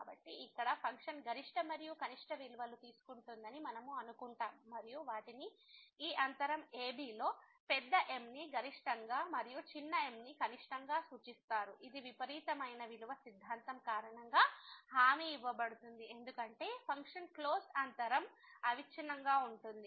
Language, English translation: Telugu, So, here we assume that the function takes the maximum and the minimum value and they are denoted by big as maximum and small as minimum in this interval , which is guaranteed due to the extreme value theorem because the function is continuous in the closed interval